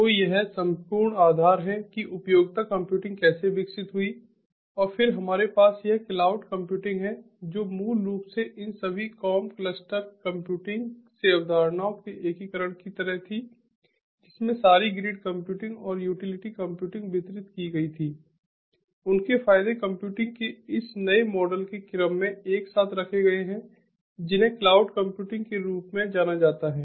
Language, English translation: Hindi, and then we have this cloud computing, which was basically sort of like an integration of the concepts from all these com, cluster computing, distributed sorry, ah, grid computing and utility computing, their advantages put together in order to have this new model of computing which is known as the cloud computing